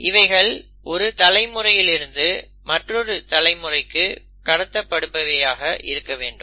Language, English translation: Tamil, They have to be passed on they have to passed on from one generation to other